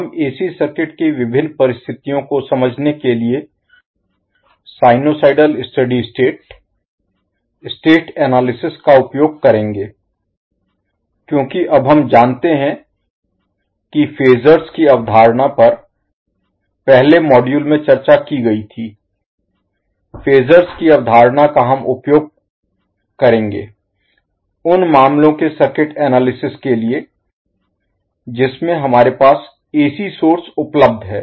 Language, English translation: Hindi, That is we will use the sinusoidal steady state, state analysis concepts to understand the various phenomena of AC circuit now as we know that the concept of phasors was discussed in the first module, the concept of phasors we will use and the circuit analysis for the cases where we have the AC source available